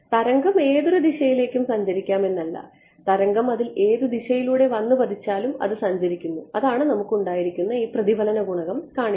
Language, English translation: Malayalam, The wave is travelling in any direction no the wave is travelling is incident on it in any direction that is what we showed this reflection coefficient that we had